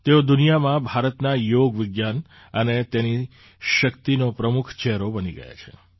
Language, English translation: Gujarati, She has become a prominent face of India's science of yoga and its strength, in the world